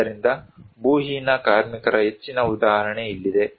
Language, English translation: Kannada, So, here is greater example of landless labour